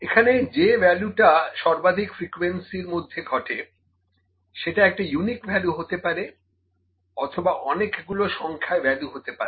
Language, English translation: Bengali, The value that occurs with maximum frequency, it may exist as a unique value or it may exist as a number of values